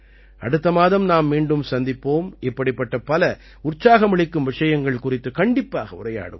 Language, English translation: Tamil, We will meet again next month and will definitely talk about many more such encouraging topics